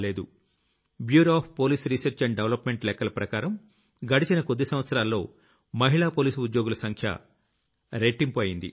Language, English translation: Telugu, The statistics from the Bureau of Police Research and Development show that in the last few years, the number of women police personnel has doubled